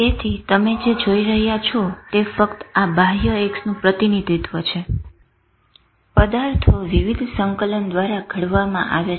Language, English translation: Gujarati, So what you are seeing is just a representation of this external X object formulated through the various integration